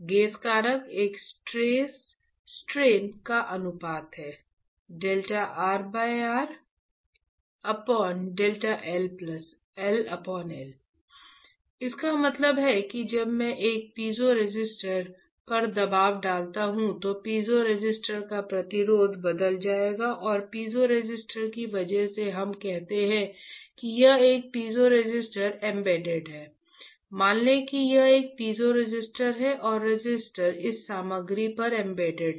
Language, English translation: Hindi, That means that when I apply a pressure on a piezoresistor, then the resistance of the piezoresistor would change and because of piezoresistor let us say this is a piezoresistor embedded, let us say this is a piezoresistor and the register is embedded onto this material